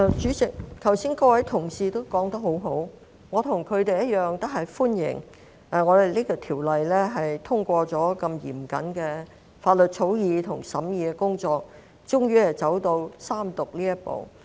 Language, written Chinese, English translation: Cantonese, 主席，剛才各位同事也說得很好，我與他們同樣歡迎《2021年完善選舉制度條例草案》通過嚴謹的法律草擬及審議工作後終於走到三讀這一步。, President all remarks by fellow Members just now were very well said and I too welcome the Third Reading of the Improving Electoral System Bill 2021 the Bill which is the final step after a stringent law drafting and scrutiny process